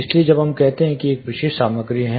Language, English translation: Hindi, So, when we say a specific material is there